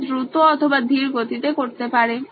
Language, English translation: Bengali, She can go fast or slow